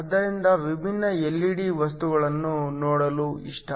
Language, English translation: Kannada, So, just like to look at the different LED materials